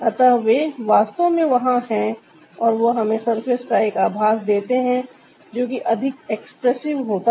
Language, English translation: Hindi, so they are there, actually there, and that gives us a sense of ah surface which is more expressive